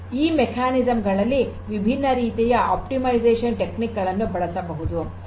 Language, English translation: Kannada, So, any of these could be used different optimization techniques could be used